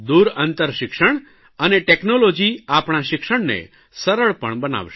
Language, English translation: Gujarati, Long distance education and technology will make the task of education simpler